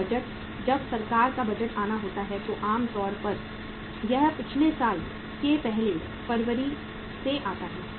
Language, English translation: Hindi, When the budgets, when the government budget has to come, normally it comes in the on the first February from the previous year onwards